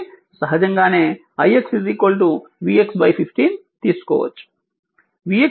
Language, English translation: Telugu, So, naturally you can take i x is equal to v x by 15